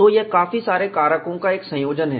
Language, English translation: Hindi, So, it is a combination of several factors